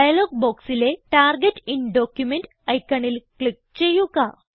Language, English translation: Malayalam, Click on the Target in document icon in the dialog box